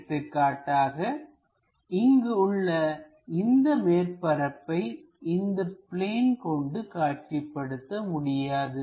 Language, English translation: Tamil, For example, this surface I can not visualize it on that plane